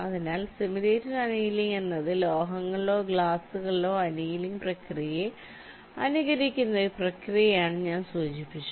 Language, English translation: Malayalam, ok, so simulated annealing: i mentioned this, that this is a process which simulates the annealing process in metals or glass